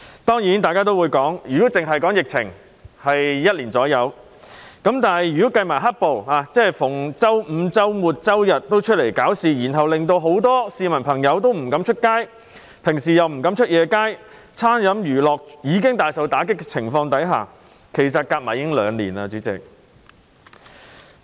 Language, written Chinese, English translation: Cantonese, 當然大家會說，疫情只有約1年，但如果計算"黑暴"，即每逢周五、周六、周日也有人外出搞事，令很多市民不敢外出，就是平日晚上亦不敢外出，餐飲娛樂業已經大受打擊，主席，這些時間加上來，其實已有兩年。, Of course Members may say that the epidemic has only lasted for about a year but if we take into account the black - clad violence that is―when people came out to cause trouble on Fridays Saturdays and Sundays a lot of people dared not go out . They dared not go out even on weekday nights dealing a severe blow to the catering industries and the entertainment industries . President these periods of time actually add up to two years